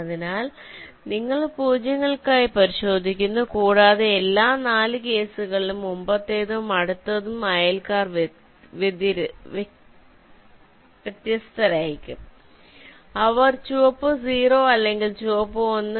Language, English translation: Malayalam, so you check for zeros also, you will find that for all the four cases the previous and the next neighbours will be distinct and you can make a distinction whether they are red, zero or red one